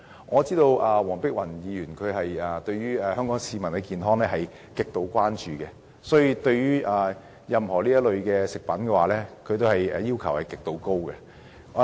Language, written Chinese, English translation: Cantonese, 我知道黃碧雲議員極度關注香港市民的健康，所以對於任何有關食物安全的法例，她也有極高的要求。, I know that Dr Helena WONG is greatly concerned about the health of the people of Hong Kong so she holds extremely high requirements on any law relating to food safety